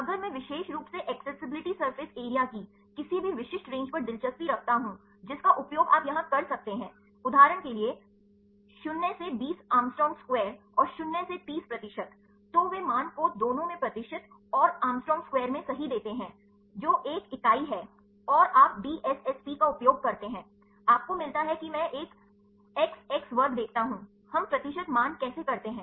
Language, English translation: Hindi, If I specifically interested on any specific range of accessibility surface area you can use here for example, 0 to 20 a angstrom square r 0 to 30 percentage, they give the values both in percentage right and angstrom square right, what say which is a units you gets using DSSP, you get I see an X X square, how do we the percentage values